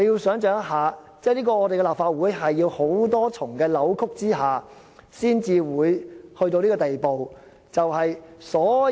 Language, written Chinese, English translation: Cantonese, 想象一下，這是立法會在多重扭曲下才會走到這個地步。, We can imagine that it was in a convoluted way that the Legislative Council could reach this stage